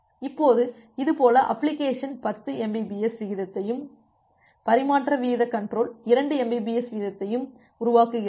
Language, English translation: Tamil, Now if this is the case, the application generates rate at 10 Mbps and the transmission rate control generates rate of 2 Mbps